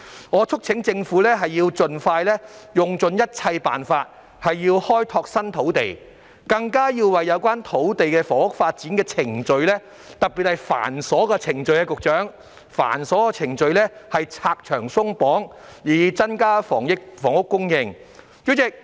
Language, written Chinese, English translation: Cantonese, 我促請政府盡快用盡一切辦法開拓新土地，更要為有關土地房屋發展的程序——局長，特別是繁瑣的程序——拆牆鬆綁，以增加房屋供應。, I urge the Government to exhaust all means to explore new land as soon as possible and more importantly to cut the red tape relating to the development processes of land and housing―Secretary particularly the tedious ones so as to increase housing supply